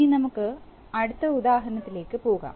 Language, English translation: Malayalam, Now let us go to the next example